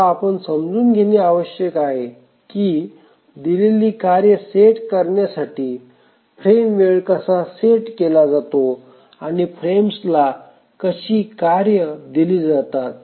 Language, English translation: Marathi, Now the important thing that we must understand is that how is the frame time set for a given task set and how are tasks assigned to frames